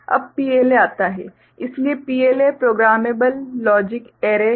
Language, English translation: Hindi, Now, comes PLA, so PLA is Programmable Logic Array right